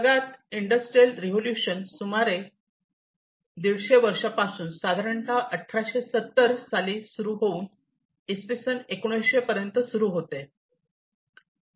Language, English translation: Marathi, So, the industrial revolution happened more than 150 years back, in the 1970s it started, and ended in the early 1900